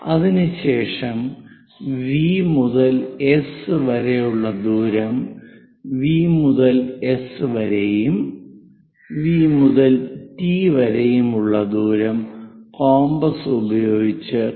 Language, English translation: Malayalam, After that measure the distance from V to S; from V to S whatever the distance is there, using compass from V to T also locate it